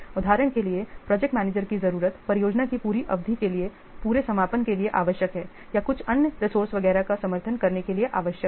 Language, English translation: Hindi, For example, the project manager is required for the whole completion for the full duration of the project or required to support some other resources, etc